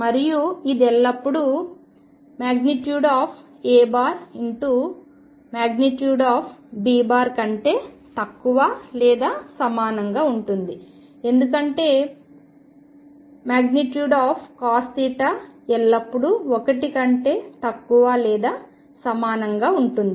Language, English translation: Telugu, And this is always less than or equal to mod A mod B product because cos theta mod is always less than or equal to 1